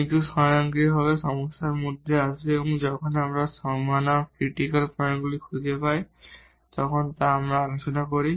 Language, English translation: Bengali, But, this will automatically come in the problem and we discuss when we find the critical points on the boundaries